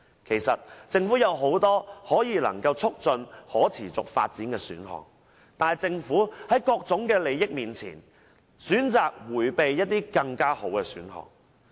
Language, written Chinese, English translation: Cantonese, 其實政府有很多能夠促進可持續發展的選項，但政府在各種利益面前，選擇迴避這些更好的選項。, In fact the Government has many options that can promote sustainable development . Nevertheless the Government has chosen to forgo these better alternatives in the face of various vested interests